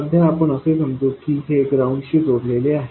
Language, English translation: Marathi, For now, let's assume it is at ground